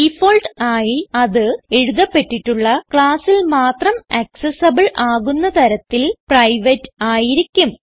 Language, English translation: Malayalam, By default it is private, that is accessible only within the class where it is written